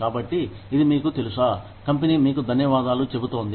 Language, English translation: Telugu, So, it is like, you know, the company is saying, thank you, to you